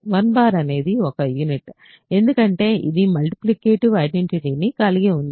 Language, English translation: Telugu, 1 bar is a unit that is because it is the multiplicative identity